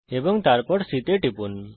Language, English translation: Bengali, Click on the point E and then on point C